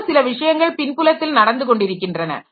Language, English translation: Tamil, So, something is always running at the background